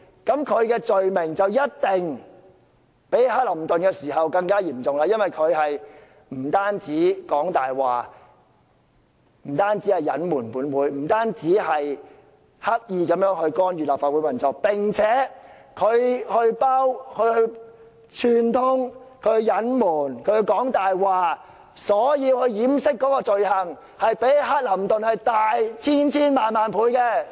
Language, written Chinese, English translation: Cantonese, 那麼，他的罪行必定較克林頓更為嚴重，因為他不單說謊、隱瞞本會、刻意干預立法會運作，並串通、隱瞞、說謊來掩飾，其罪行一定較克林頓大千千萬萬倍。, That is why his wrongdoing must be many times more serious than those of Bill CLINTON because LEUNG Chun - ying did not only lie to this Council to conceal his wrongdoing and deliberately interfere with the operations of the Legislative Council he also tried to cover up the matter through collusion concealment and lies . His wrongdoing must be a zillion times more serious than Bill CLINTONs